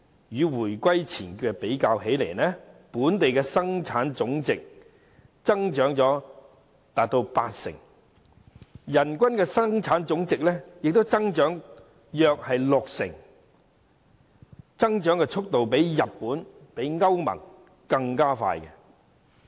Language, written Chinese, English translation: Cantonese, 與回歸前比較，本地生產總值增長約八成，人均生產總值亦增長了約六成，增長速度較日本和歐盟更快。, Compared with the situation before the reunification Hong Kongs Gross Domestic Product GDP has increased by some 80 % while per capita GDP has also increased by some 60 % outpacing growth in Japan and the European Union